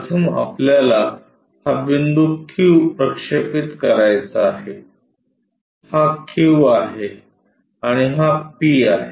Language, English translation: Marathi, First we have to project this point q, this is q, and this is p